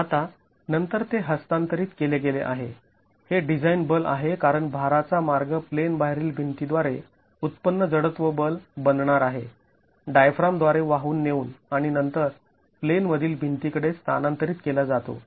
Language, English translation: Marathi, Now this is then transferred to the the this is the design force which is this is the design force because the load path is going to be the inertial force generated by the out of plane walls is carried by the diaphragm and then transferred to the in plain walls